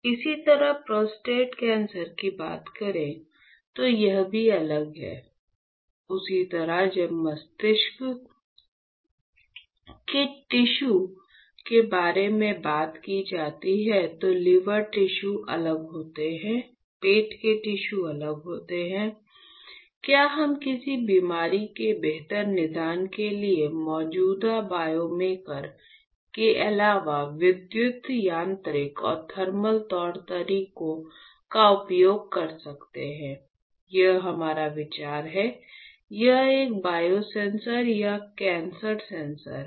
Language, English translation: Hindi, Same way when you talk about prostate cancer, it is also different right; same way when talking about the brain tissue is different, liver tissue is different, stomach tissue is different; can we use electrical mechanical and thermal modalities in addition to the existing biomarkers for better diagnosis of a disease; that is our idea, this is a biosensor or cancer sensors right alright